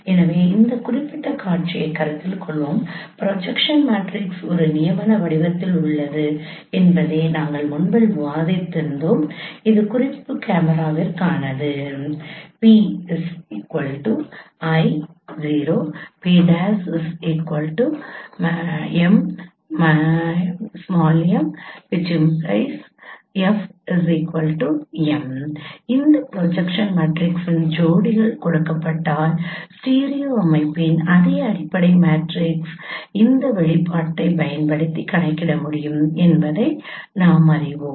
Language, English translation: Tamil, once again we continue this discussion so let us consider this particular scenario we discussed earlier that projection matrix is in the form of a canonical form that is for the reference camera which is given by this I0 whereas the other projection matrix other camera it is not given in canonical form but it is represented into this from M M then we know that given this pairs of projection matrices its fundamental matrix of the studio system can be computed using this expression